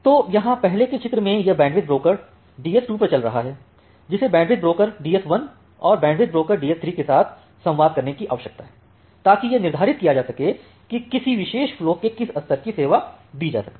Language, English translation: Hindi, So, here in the earlier picture this bandwidth broker running at the DS 2 it need to communicate with the bandwidth broker DS 1 and bandwidth broker DS 3, to determine that what level of quality of service can be given to a particular flow